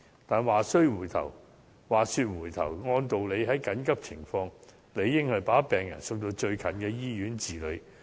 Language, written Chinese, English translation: Cantonese, 但是，話說回頭，在緊急情況下，理應把病人送到就近的醫院治理。, But then a patient should logically be sent to the closest hospital under emergency circumstances